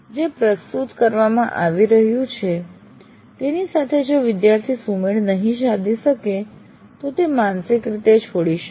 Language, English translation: Gujarati, Then what happens is the student is not able to keep pace with what is being presented and he is he will mentally drop out